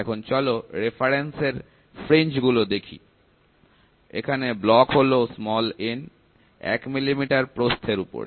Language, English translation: Bengali, Now let the fringes of the reference, block be n over the width of 1 millimeter